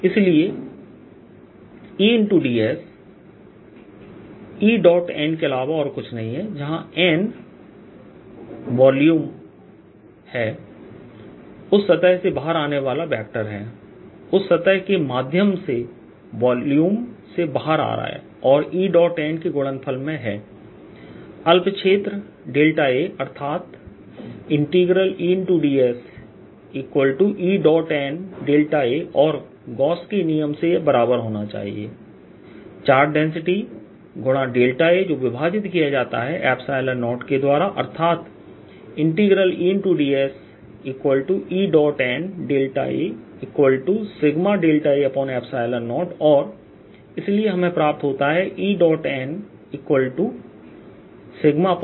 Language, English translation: Hindi, therefore e dot d s is nothing but e dot n, where n where the vector coming up out of the surface, coming out of the volume through that surface, e dot n times that small area, d, b, a, and there should be equal to charge density times delta a divided by epsilon zero, by gauss's law, and therefore e dot n is equal to sigma over epsilon zero